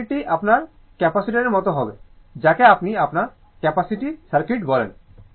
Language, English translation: Bengali, So, circuit will be like your capacity what you call that your capacity circuit right